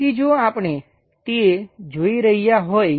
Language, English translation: Gujarati, So, if we are looking at it